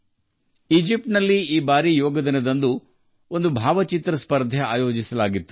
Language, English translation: Kannada, This time in Egypt, a photo competition was organized on Yoga Day